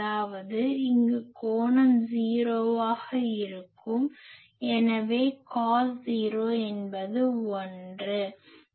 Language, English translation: Tamil, That means, in that case this angle will be 0; so cos 0 is 1